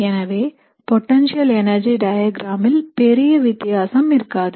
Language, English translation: Tamil, So you will not have big change in the potential energy diagram